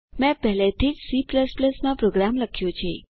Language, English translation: Gujarati, I have already made the code in C++